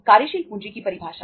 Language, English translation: Hindi, Definitions of working capital